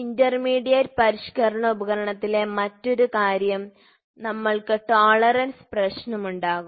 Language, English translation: Malayalam, The other thing in the intermediate modifying device, we will have tolerance problem